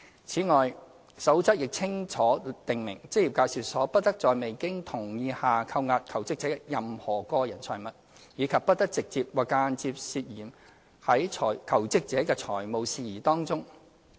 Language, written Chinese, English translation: Cantonese, 此外，《守則》亦清楚訂明職業介紹所不得在未經同意下扣押求職者的任何個人財物，以及不得直接或間接牽涉在求職者的財務事宜之中。, Besides the Code expressly states that an employment agency must not withhold any personal property of jobseekers without their consent nor should it be directly or indirectly involved in the financial affairs of jobseekers